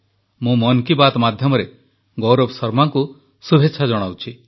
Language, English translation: Odia, Through the medium of Mann Ki Baat, I extend best wishes to Gaurav Sharma ji